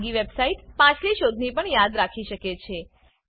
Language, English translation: Gujarati, Private website may also remember previous searches